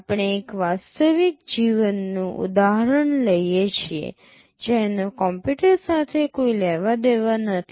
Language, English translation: Gujarati, We take a real life example, which has nothing to do with computers